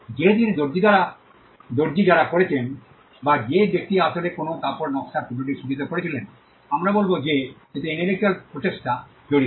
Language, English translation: Bengali, Whereas the tailor who did it, or the person who actually embroidered a piece of design on a cloth, we would say that that involved an intellectual effort